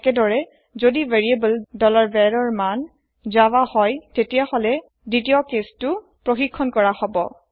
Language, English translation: Assamese, Similarly, if variable $var has value Java , then second case will be checked